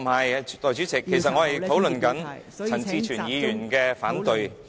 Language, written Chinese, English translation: Cantonese, 代理主席，其實我正在討論陳志全議員的反對......, Deputy President actually I am discussing Mr CHAN Chi - chuens opposition